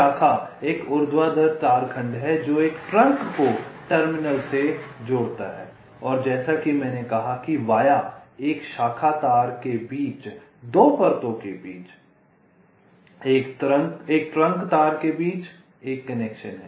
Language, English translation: Hindi, branch is a vertical wire segment that connects a trunk to a terminal and, as i said, via is a connection between two layers, between a branch wire, between a trunk wire